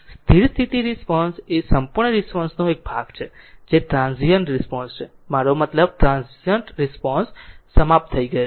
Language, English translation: Gujarati, The steady state response is the portion of the complete response that remains after the transient response has died out, I mean transient is over right